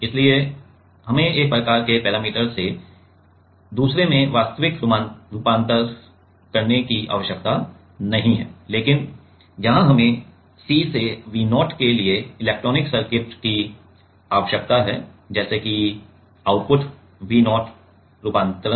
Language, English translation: Hindi, So, we do not need a real conversion from one kind of parameter to another, but here we need electronics circuit electronics for C to V0 let us say the output V zero conversion